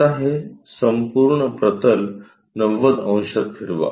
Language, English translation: Marathi, Now, rotate this entire plane by 90 degrees